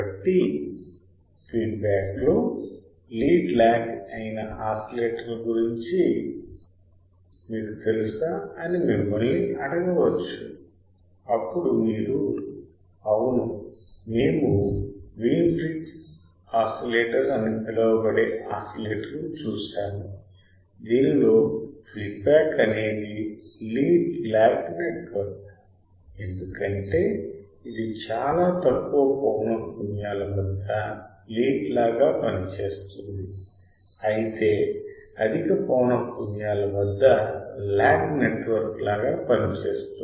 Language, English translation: Telugu, So, you can be asked you know oscillators in which the feedback is lead lag then you can say yes we have seen an oscillator which is called Wein bridge oscillator; in which the feedback is a lead lag network because it acts like a like a lead at very low frequencies while at higher frequency it has a lag network